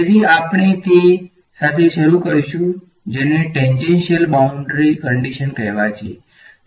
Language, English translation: Gujarati, So, we will start with what are called as tangential boundary conditions ok